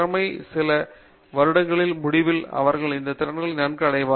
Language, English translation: Tamil, And at the end of the first few years they are well equipped with these skills